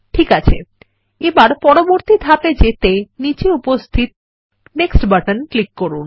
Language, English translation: Bengali, OK, let us go to the next step now, by clicking on the Next button at the bottom